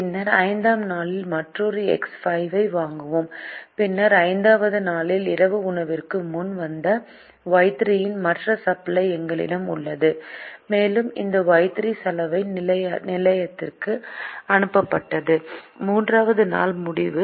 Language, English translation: Tamil, and then we buy another x five on day five and then we have the other supply of y three which has come before dinner on the fifth day, and this y three had been sent to the laundry at the end of the third day